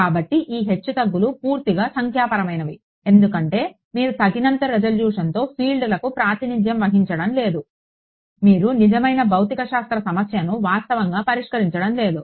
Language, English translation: Telugu, So, this fluctuation is purely numerical; why because you are not actually solving a real physics problem because you are not representing the fields with sufficient resolution